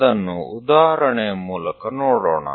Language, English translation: Kannada, Let us look at that through an example